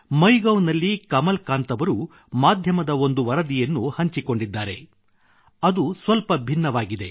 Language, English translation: Kannada, On MyGov app, Kamalakant ji has shared a media report which states something different